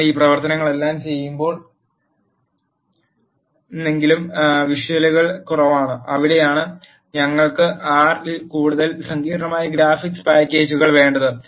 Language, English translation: Malayalam, Even though you do all of this operations, the visuals are less pleasing that is where we need more sophisticated graphics packages in R